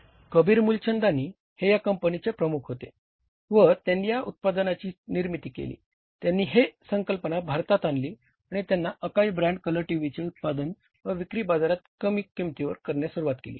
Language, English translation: Marathi, So, he manufactured, is Kabir Mool Chandani who was the, say, head of that company, he brought that concept to India and he started manufacturing and selling those, say, Akai brand colour TVs in the market and at a very say you can call it is a lesser price